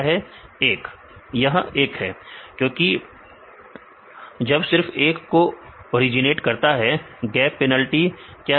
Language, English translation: Hindi, It is 1, because gap originates only ones; what is a gap penalty